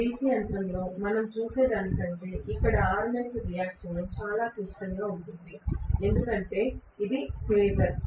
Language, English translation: Telugu, Armature reaction here is much more complex than what we see in a DC machine because it is a phasor, right